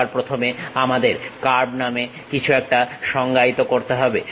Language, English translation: Bengali, First of all we have to define something named curves